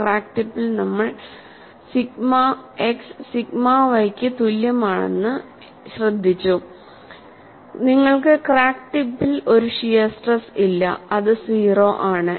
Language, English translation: Malayalam, We noted at the crack tip, sigma x is equal to sigma y, and you do not have a shear stress at the crack tip 0